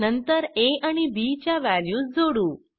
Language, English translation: Marathi, Then we add the values of a and b